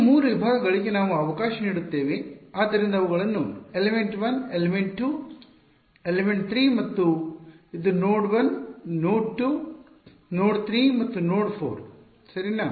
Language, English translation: Kannada, For these 3 segments let us so what are what will call them is this is element 1, element 2, element 3 and this is node 1, node 2, node 3 and node 4 ok